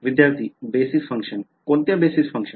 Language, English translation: Marathi, Basis function Which basis function